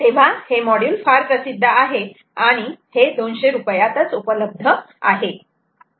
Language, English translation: Marathi, ok, so its a very popular one ah, which is available for about two hundred rupees